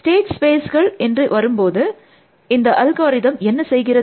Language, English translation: Tamil, In terms of the search space the states space, what is this algorithm doing